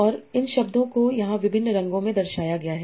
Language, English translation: Hindi, And these words are denoted in various colors here